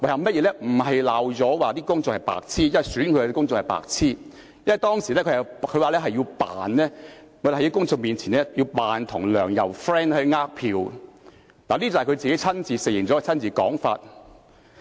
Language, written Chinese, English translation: Cantonese, 不是罵公眾是白癡，即選他的公眾是白癡，而是他說當時在公眾面前要假裝與梁、游要好來騙選票，這是他親自承認的說法。, If he was not calling the public idiots he must be calling his electors idiots . He himself even conceded that he pretended before the very eyes of the public to befriend LEUNG and YAU in order to solicit votes by fraud . It was his personal confession